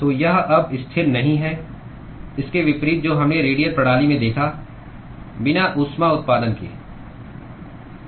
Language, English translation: Hindi, So, it is not constant anymore, unlike what we saw in the radial system with the with no heat generation